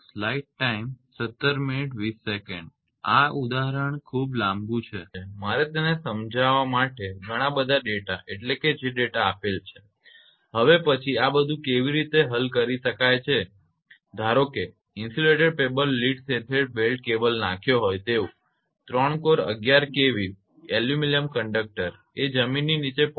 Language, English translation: Gujarati, This this example is a too long I have to explain it you all the data long means data that you call that data are given then how things can be solved suppose A 3 core 11 kV aluminium conductor powering your paper insulated lead sheathed belted cable is laid 0